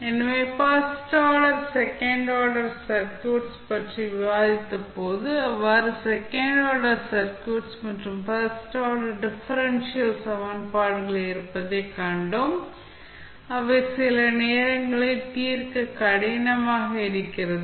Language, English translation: Tamil, So, remember if we, when we discussed the first order, second order circuits, we saw that there were, various second order and first order differential equations, which are sometimes difficult to solve